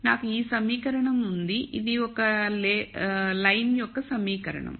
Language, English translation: Telugu, So, I have this equation which is the equation of a line